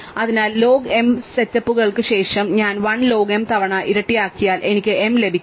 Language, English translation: Malayalam, So, after log m steps if I double 1 log m times, I will get m